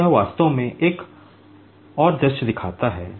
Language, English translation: Hindi, So, this shows actually another view